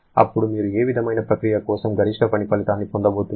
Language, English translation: Telugu, Then, for which kind of process you are going to get the maximum work output